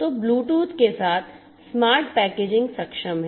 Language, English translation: Hindi, So, smart packaging is enabled with Bluetooth